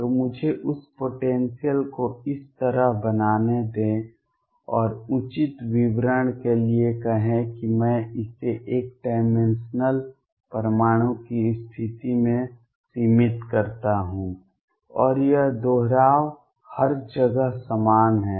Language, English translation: Hindi, So, let me make that potential like this and let us say for proper description I make it finite at the position of the one dimensional atom and this repeats is the same everywhere